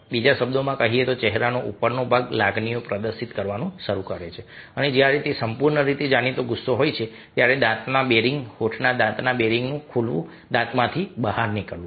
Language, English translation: Gujarati, in other words, the upper part of the face starts displaying the emotions and when it is a full anger, then there is bearing of the teeth, ok, opening of the lips, bearing of the teeth, jetting out of the teeth